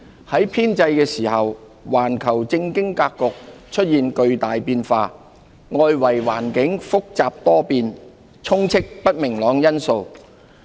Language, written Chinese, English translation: Cantonese, 在編製時，環球政經格局出現巨大變化，外圍環境複雜多變，充斥不明朗因素。, It has been prepared against the backdrop of profound changes in the global political and economic landscape a complicated and volatile external environment and heightened uncertainties